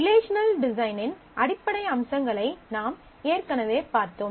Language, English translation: Tamil, We have already seen basic features of good relational design